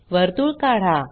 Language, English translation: Marathi, Draw a circle